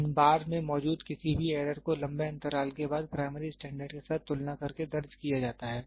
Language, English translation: Hindi, Any error existing in these bars is recorded by comparing with a primary standard after long intervals